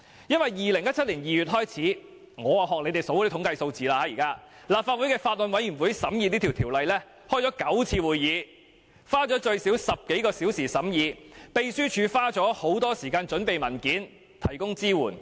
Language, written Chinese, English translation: Cantonese, 讓我也學建制派列舉統計數字，自2017年2月起，審議《條例草案》的法案委員會曾召開9次會議，最少花了10多小時進行審議，而秘書處亦花了很多時間準備文件，提供支援。, Let me learn from the pro - establishment camp and quote some statistics . Since February 2017 the Bills Committee on Stamp Duty Amendment Bill 2017 has held nine meetings spending more than 10 hours on deliberating the Bill . Meanwhile the Secretariat has also spent a lot of time on preparing papers and providing support